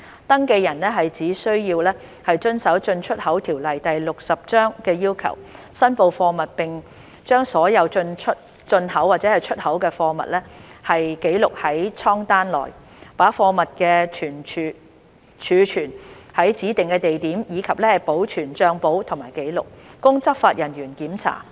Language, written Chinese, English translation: Cantonese, 登記人只需要遵守《進出口條例》的要求，申報貨物並將所有進口或出口的貨物記錄在艙單內，把貨物儲存於指定的地點，以及保存帳簿及紀錄，供執法人員檢查。, An applicant is only required to comply with the requirements of the Import and Export Ordinance Cap . 60 by declaring the goods recording all imported or exported cargoes in a manifest storing the goods in a specified place and maintaining books and records for inspection by law enforcement officers